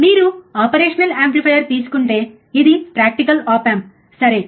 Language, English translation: Telugu, But if you if you take operational amplifier which is a practical op amp, right